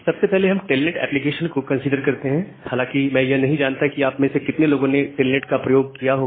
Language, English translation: Hindi, First of all consider an application called telnet, I am not sure how many of you have used telnet